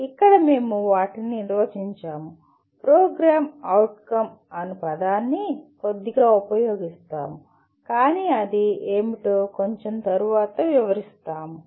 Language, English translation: Telugu, We will, here we define the, use the word program outcomes a little loosely but we will elaborate a little later what they are